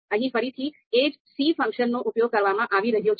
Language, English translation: Gujarati, So here again, same function c is being used